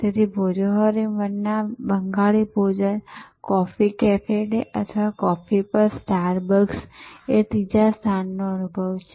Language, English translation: Gujarati, So, Bhojohori Manna Bengali cuisine, coffee cafe day or star bucks on coffee, the third place experience